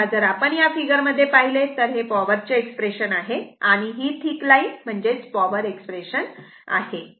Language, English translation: Marathi, Now, if you come to this figure, this is your power expression, this is thick line is your power expression right